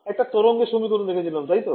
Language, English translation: Bengali, We had looked at the wave equation right